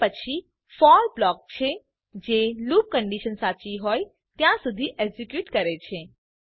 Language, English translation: Gujarati, Then it has the for block which keeps on executing till the loop condition is true